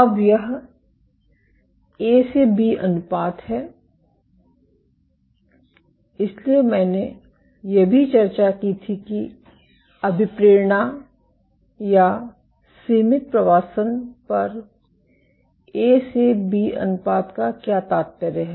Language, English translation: Hindi, Now this A to B ratio: so, I had also discussed that, what is the implication of A to B ratio on motility or confined migration